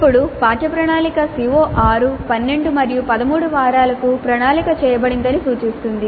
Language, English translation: Telugu, Now lesson plan indicates that CO6 is planned for weeks 12 and 13